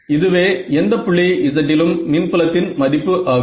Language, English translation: Tamil, I will tell you what is the field at any point z